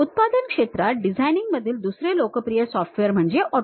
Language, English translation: Marathi, The other popular software in designing is in manufacturing AutoCAD